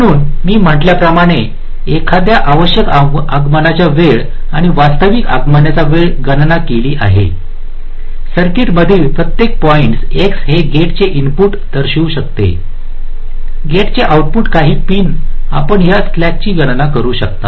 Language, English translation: Marathi, ok, so as i had said, once we have calculated the required arrival time and the actual arrival times for every point x in the circuit, this may denote the input, a gate, the output of a gate, some pins